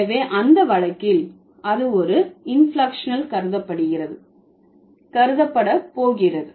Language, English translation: Tamil, So, in that case, it's going to be considered as an inflectional one